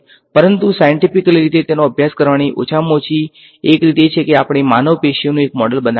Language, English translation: Gujarati, But at least one way to scientifically study it, is to build a, let us say, a model of human tissue